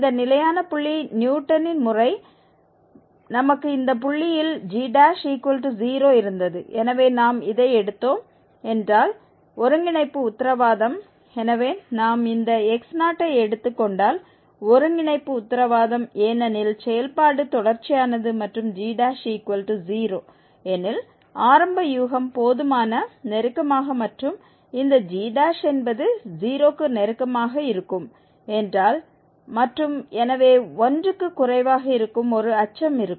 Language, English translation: Tamil, Note that this for the fixed point, for the Newton's method we had g prime is 0 at least at this point s and therefore the convergence is guaranteed if we take this x naught the initial guess sufficiently close to s because the function is continuous and if g prime is 0 then there would be a neighborhood also where this g prime will be also close to 0 and that therefore less than 1